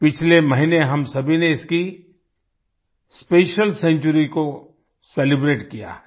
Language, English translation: Hindi, Last month all of us have celebrated the special century